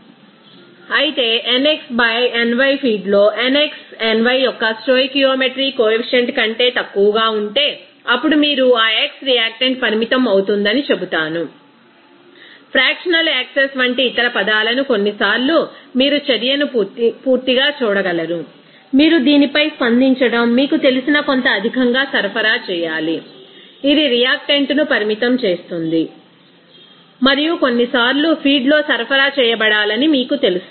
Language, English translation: Telugu, Whereas if nx by ny in the feed if it is less than nx by ny in the stoichiometry coefficient then you will say that x will be limiting reactant, other terms like fractional access sometimes you will see that to complete the reaction you have to supply some excess you know reacting to the that based on this it is limiting reactant and also sometimes the what will be amount of you know reacting to be supplied in the feed